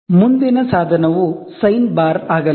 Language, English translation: Kannada, The next device is going to be sine bar